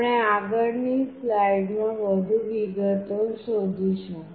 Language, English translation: Gujarati, We will be looking into more details in next slide